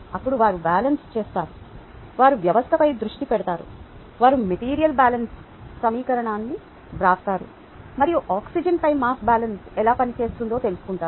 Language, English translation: Telugu, tell me what you get, then they would do the balance, they would ah, they would focus on the system, they would write the material balance equation and figure out how the mass balance on oxygen works out